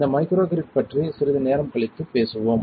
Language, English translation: Tamil, We will talk about this microgrid sometime later